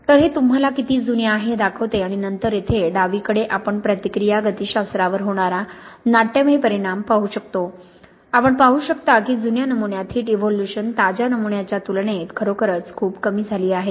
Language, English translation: Marathi, So this shows you the aging and then here on the left we can see the dramatic effect this will have on the reaction kinetics that you can see the heat evolution here in the aged sample is really very much reduced compared to the fresh sample